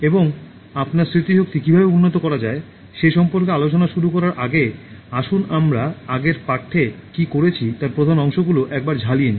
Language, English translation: Bengali, And before we start discussing on how to improve your memory, let us take a quick look at what I did in the previous one, highlights of the last lesson